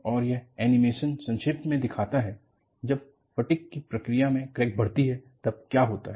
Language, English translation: Hindi, And, this animation shows, in a nutshell, what happens, when crack grows by the process of fatigue